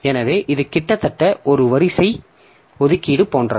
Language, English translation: Tamil, So, it is almost like a sequential allocation